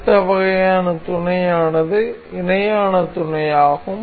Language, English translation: Tamil, The next kind of mate is parallel mate